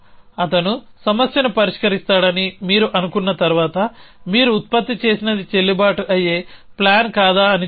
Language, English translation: Telugu, That after you think he of solve the problem just see whether what you have produce is the valid plan or not